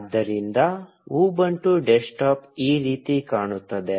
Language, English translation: Kannada, So, this is how the Ubuntu desktop looks like